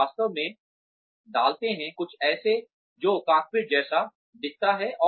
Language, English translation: Hindi, They are actually put in, something that looks like a cockpit